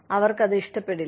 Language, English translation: Malayalam, They will not like it